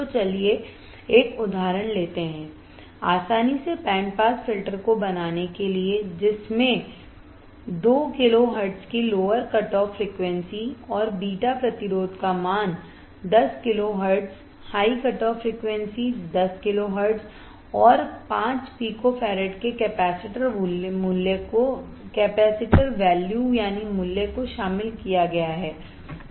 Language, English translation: Hindi, So, let us take an example to make it easier design a band pass filter with a lower cutoff frequency of two kilo hertz, and beta resistor value of 10 kilo high cutoff frequency of 10 kilo hertz capacitor value of 5 Pico farad